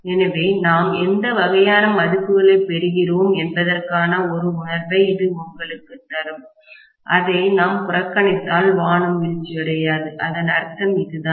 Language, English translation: Tamil, So, that will give you a feel for what kind of values we are getting, if we neglect it heavens are not falling, that is what it means, right